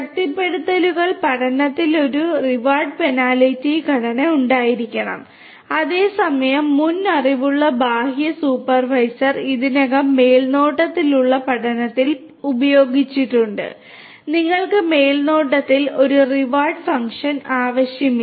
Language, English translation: Malayalam, In reinforcement learning there is a reward penalty structure that has to be in place whereas, because the external supervisor with previous knowledge is already used in supervised learning you do not need a reward function in supervised